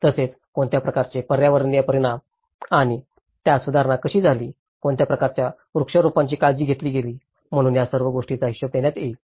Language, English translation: Marathi, Also, what kind of environmental impacts and how it has been improved, what kind of plantations has been taken care of, so all these things will be accounted